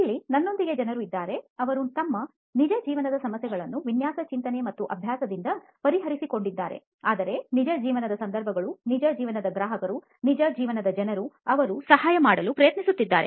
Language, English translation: Kannada, So here with me I have people who have experienced applying design thinking and practice in real life problems, real life situations, real life customers, real life people whom they have tried to help and they are still in that process of helping them